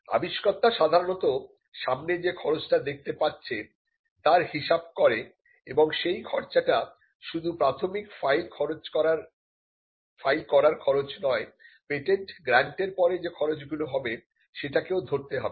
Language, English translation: Bengali, So, you or the inventor would normally look at the upfront cost, and the upfront cost is not just the filing cost, but it could also mean the cost that eventually pursue when a patent is granted